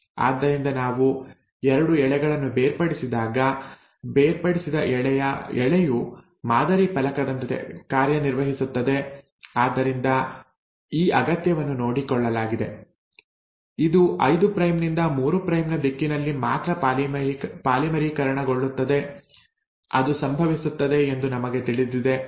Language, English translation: Kannada, So when we have separated the 2 strands, the separated strand acts as a template, so this requirement has been taken care of, it will polymerize only in the direction of 5 prime to 3 prime; that also we know it happens